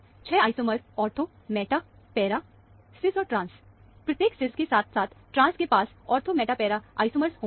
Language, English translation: Hindi, 6 isomers are ortho, meta, and para of cis and trans; each cis, as well as trans, will have ortho, meta, para isomers